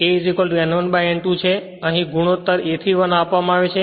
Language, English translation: Gujarati, So, here it is your ratio is given a is to 1 right